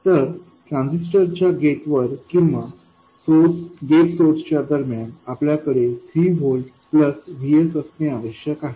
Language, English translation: Marathi, So, at the gate of the transistor or between the gate source we need to have 3 volts plus VS